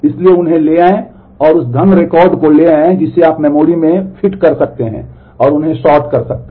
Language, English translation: Hindi, So, take them so, take that money records which you can fit into the memory and sort them